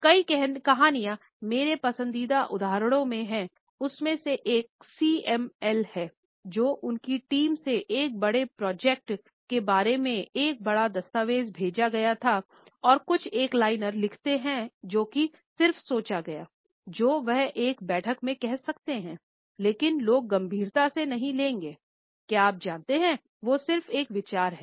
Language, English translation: Hindi, I will be ok or send me this, but many stories one of my favourite examples was the CML, who was sent a big document from her team about a big project and write some one liner that has just a random thought she had on her head, that she would say in a meeting, but people would not take serious you know they would take as just an idea